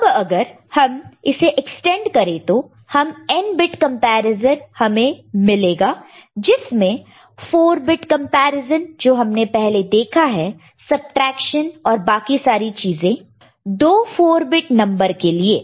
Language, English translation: Hindi, Now, if we extend it, we can get n bit comparison which includes 4 bit comparison the way we have seen subtraction and all of two 4 bit number before